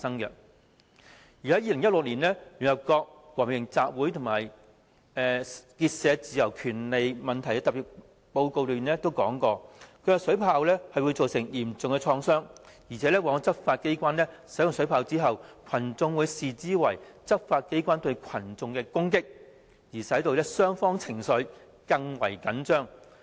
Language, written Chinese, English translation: Cantonese, 在2016年，聯合國和平集會與結社自由權利問題特別報告指出，水炮會造成嚴重創傷，執法機關在使用水炮後，群眾往往會視之為執法機關對群眾的攻擊，使雙方情緒更為緊張。, In 2016 the Special Rapporteur on the rights to freedom of peaceful assembly and of association pointed out that water cannons caused serious injuries . According to the Special Rapporteur after water cannons had been used by law enforcement agencies they would be regarded by the crowd as attacks launched by law enforcement agencies aggravating further the tension between the two parties